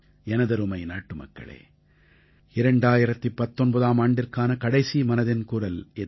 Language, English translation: Tamil, My dear countrymen, this is the final episode of "Man ki Baat" in 2019